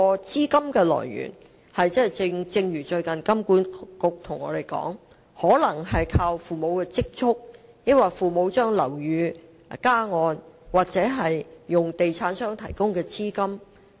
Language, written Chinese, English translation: Cantonese, 資金來源方面，香港金融管理局最近指出，買家可能是靠父母的積蓄資助、靠父母把物業加按，或利用地產商提供的按揭買樓。, Regarding the source of funding as recently pointed out by the Hong Kong Monetary Authority some buyers may be financed by their parents savings by proceeds obtained from topping up the mortgages of their parents properties or by the mortgage loans provided by developers